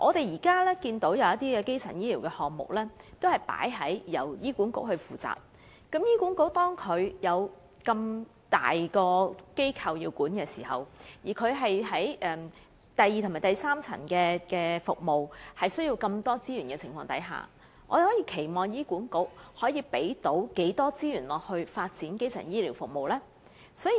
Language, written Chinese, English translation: Cantonese, 現時有部分基層醫療項目由醫管局負責，但醫管局本身已有一個龐大的架構需要管理，加上第二及第三層服務又需要極多資源，還能期望醫管局調撥多少資源發展基層醫療服務呢？, HA is now taking care of some of these service items but it is also responsible for managing a huge organization at the same time while secondary and tertiary services are resources demanding . Under such circumstances how many more resources can we expect HA to allocate for developing primary health care services?